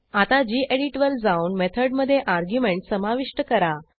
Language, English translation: Marathi, Now let us go back to gedit and add an argument to the method